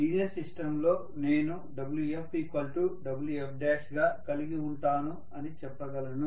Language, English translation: Telugu, So I can say in linear system I am going to have Wf equal to Wf dash